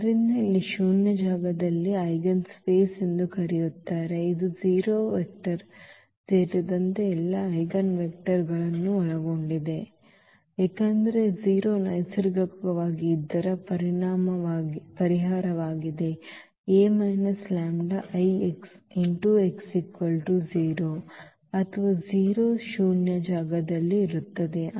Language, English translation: Kannada, So, here in the null space which is also called the eigenspace, it contains all eigenvectors including 0 vector because 0 is naturally the solution of this A minus lambda I x is equal to 0 or 0 will be there in the null space